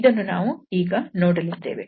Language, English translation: Kannada, This is what we will observe now